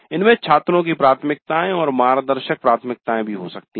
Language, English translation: Hindi, There could be student preferences as well as guide preferences